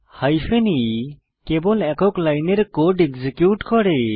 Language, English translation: Bengali, The hyphen e flag allows only a single line of code to be executed